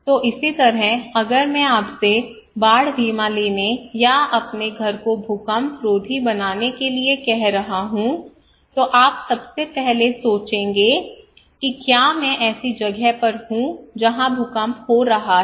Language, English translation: Hindi, So similarly if I am asking you to take a flood insurance or to build your house earthquake resistant, you will first think am I at a place where earthquake is happening, is it really prone to earthquake right